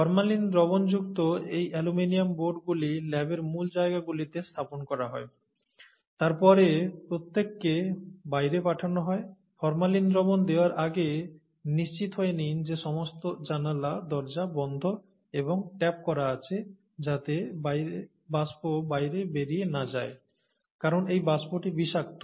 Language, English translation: Bengali, So these aluminum boards containing formalin solutions are placed in key positions in the lab, then everybody is sent out, and before you place the formalin solution, make sure that it is made sure that all the windows and doors are shut and taped so that no vapor escapes out, because this vapor is poisonous